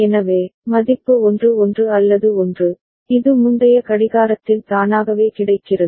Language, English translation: Tamil, So, the value 1 1 or 1, it is made available in the previous clock trigger itself right